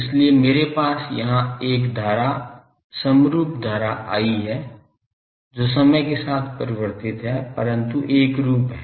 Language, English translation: Hindi, So, I have a current uniform current I here time varying, but uniform current